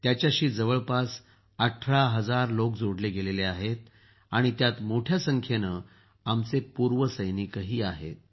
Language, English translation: Marathi, About 18,000 people are associated with it, in which a large number of our ExServicemen are also there